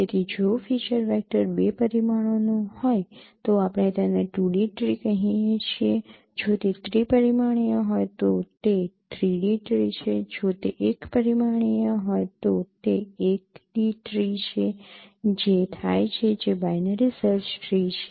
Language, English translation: Gujarati, So if the feature vector is of two dimension we call it 2D tree if it is 3 dimension it is 3D tree if it is one dimension it is 1d tree which happens to be binary search tree